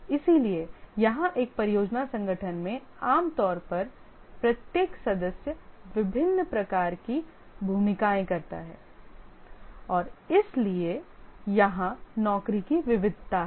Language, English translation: Hindi, So here in a project organization, typically each member does a variety of roles and therefore there is a job variety here